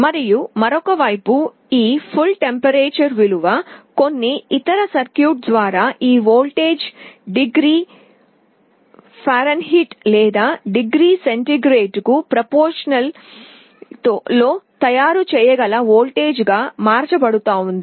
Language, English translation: Telugu, And on the other side this absolute temperature value, this voltage through some other circuitry is being converted into a voltage that can be made proportional to either degree Fahrenheit or degree centigrade